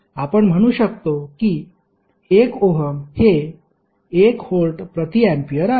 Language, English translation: Marathi, You will say 1 Ohm is nothing but 1 Volt per Ampere